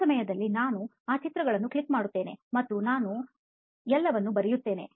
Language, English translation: Kannada, So for that time I just click those pictures and I also write everything down